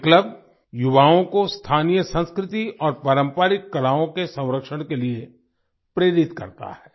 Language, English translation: Hindi, This club inspires the youth to preserve the local culture and traditional arts